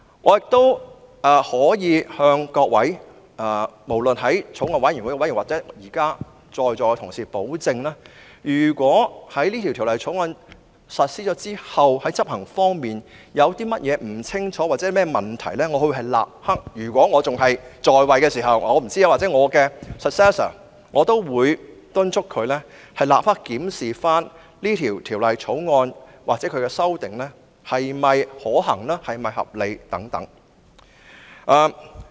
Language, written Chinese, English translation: Cantonese, 我可以向法案委員會委員或在座同事保證，如果在實施《條例草案》後，在執行方面有任何不清楚之處或問題，我會——如果我仍然擔任議員——或敦促我的繼任人立刻檢視《條例草案》的修訂是否可行或合理。, I can assure members of the Bills Committee or colleagues present at the meeting that if after the implementation of the Bill there is any ambiguity or problem I will―if I am still a Member―or urge my successor to immediately examine the feasibility or reasonableness of the amendments to the Bill